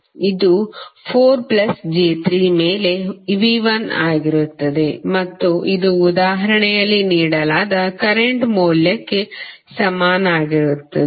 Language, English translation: Kannada, It will be V 1 upon 4 plus j3 and this will be equal to the current value which is given in the example